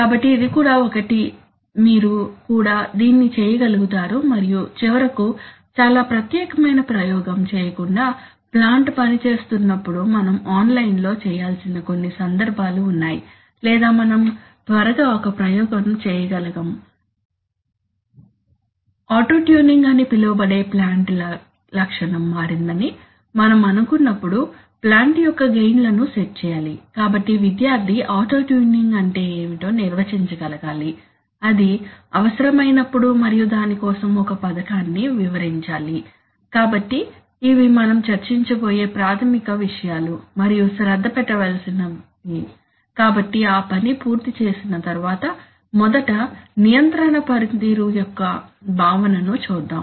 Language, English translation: Telugu, So that one is also, you should be able to do that also and finally there are certain cases where we need to online while the plant is operating without performing a special, very special experiment for a long time or whether we can quickly perform an experiment to set the gains of the plant when we think that the plant characteristic has changed that is called auto tuning, so the student should be able to define what is auto tuning, when it is needed and describe a scheme for the same